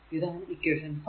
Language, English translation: Malayalam, So, this is equation 5, right